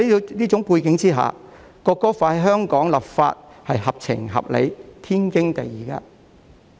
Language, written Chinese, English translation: Cantonese, 在這個背景下，香港就《國歌法》立法是合情合理，天經地義的。, Against this background it is fair and reasonable as well as perfectly justified for Hong Kong to enact legislation on the National Anthem Law